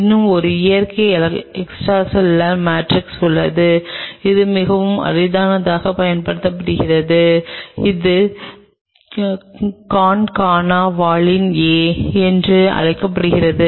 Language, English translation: Tamil, There is one more natural extracellular matrix which is very rarely used, which is called Concana Valin A